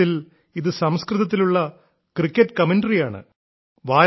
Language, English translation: Malayalam, Actually, this is a cricket commentary being done in Sanskrit